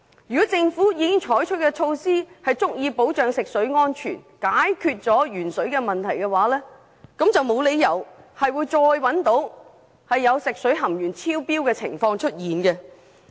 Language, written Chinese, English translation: Cantonese, 如果政府採取的措施能足以保障食水安全、解決鉛水問題，沒有理由會再次出現食水含鉛量超標的情況。, If the measures taken by the Government had been able to ensure drinking water safety and tackle the problem of lead in water the excess - lead - in - water incident described in the above mentioned news report would never have occurred